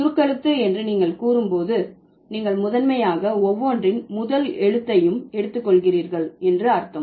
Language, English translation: Tamil, So, when you say acronymization, that means you are primarily what you are doing, you are taking the first letter of each word and you are producing it as a unit